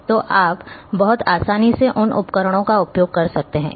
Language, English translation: Hindi, So, you you are having a easy access to these tools very easily